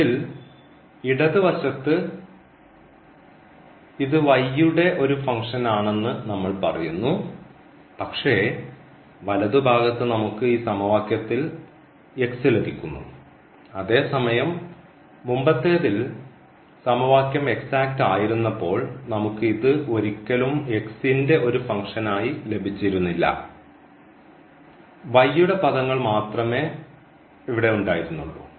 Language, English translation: Malayalam, On the left hand side we are telling that this is a function of y the right hand side we are also getting x in this equation, while in the previous one when the equation is exact we will never get this as a function of x here we will get only y terms